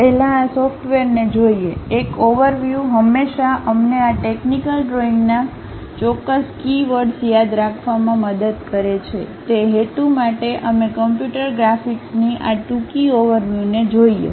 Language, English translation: Gujarati, Before, really looking at these softwares, a overview always help us to remember certain keywords of this technical drawing; for that purpose we are covering this brief overview on computer graphics ok